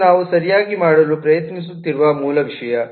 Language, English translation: Kannada, right, that is the basic thing that we are trying to do